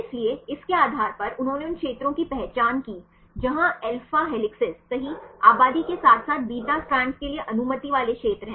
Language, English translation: Hindi, So, based on that he identified the regions where the alpha helices are populated right as well as where allowed regions for the beta strands